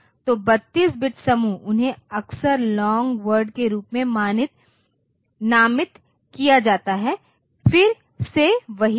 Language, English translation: Hindi, So, 32 bit groups, they are often named as long word of course, again the same thing